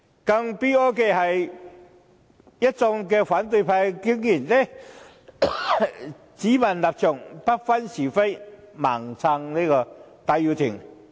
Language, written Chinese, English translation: Cantonese, 更悲哀的是，一眾反對派議員竟然只問立場，不分是非，"盲撐"戴耀廷。, It is even more pathetic that numerous Members of the opposition camp are fixated on a standpoint but fail to distinguish right and wrong and blindly support Benny TAI